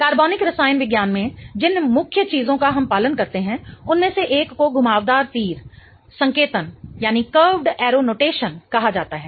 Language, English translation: Hindi, One of the main things that we follow in organic chemistry is called as a curved arrow notation